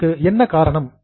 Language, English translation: Tamil, Now, what is a reason